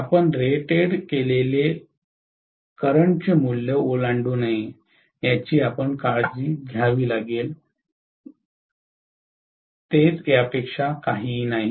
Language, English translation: Marathi, The care has to be taken to make sure that you do not exceed rated current value, that is it, nothing more than that